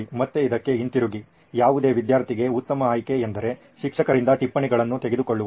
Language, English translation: Kannada, Again going back to this if best option to any student is to go, take the notes from the teacher